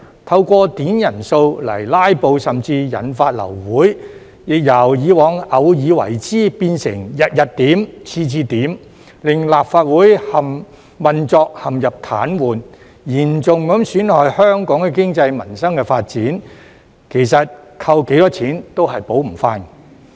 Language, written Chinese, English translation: Cantonese, 透過點人數來"拉布"，甚至引發流會，亦由以往偶爾為之，變成日日點、次次點，令立法會運作陷入癱瘓，嚴重損害香港的經濟民生發展，其實扣多少錢都補償不到。, They made use of requests for headcount to filibuster and even caused the meeting to be aborted . In the past they did so once in a while but then they did it every day and on every occasion paralysing the operation of the Legislative Council and wreaking havoc on the economy peoples livelihood and development of Hong Kong . In fact no pecuniary penalties can make up for such damage